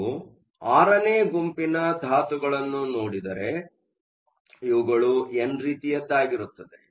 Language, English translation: Kannada, So, if you look at the group VI elements these are n type